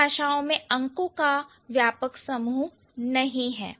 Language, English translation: Hindi, So, not all languages have an extensive set of numerals